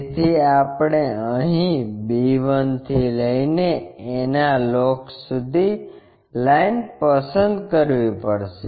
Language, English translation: Gujarati, So, we have to pick from b 1 here up to locus of a